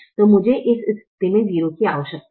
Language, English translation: Hindi, so i need a zero in this position